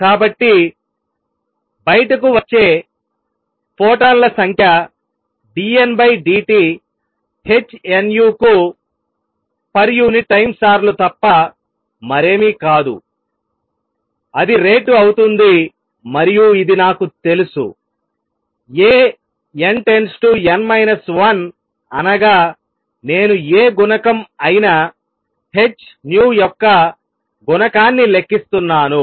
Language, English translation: Telugu, So, number of photons coming out would be nothing but d N by d t per unit time times h nu; that will be the rate and this I know is nothing but A n to n minus 1 that is 1, I am calculating the a coefficient h nu